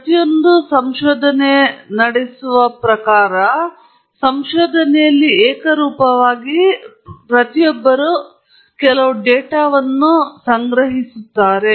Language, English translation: Kannada, In every type of research that one carries out, invariably, one collects some data or the other